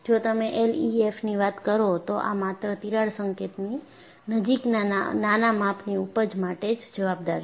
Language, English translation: Gujarati, And, if you look at L E F M, this accounts only for small scale yielding near the crack tip